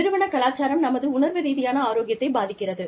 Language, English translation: Tamil, Organizational culture, affects our emotional health